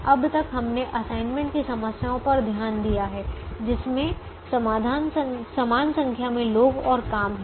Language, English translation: Hindi, fact: till now we looked at assignment problems that have an equal number of people and jobs